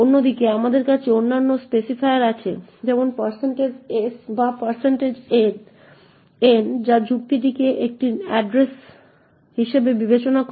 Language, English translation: Bengali, On the other hand, we have other specifiers such as the % s or % n which considers the argument as an address